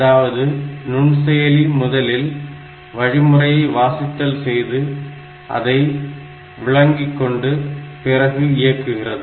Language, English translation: Tamil, So, the microprocessor first reads the instruction, then it interprets it and finally, it executes it